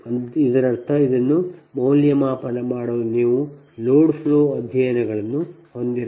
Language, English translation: Kannada, that means for this one evaluate this, you have to have a load flow studies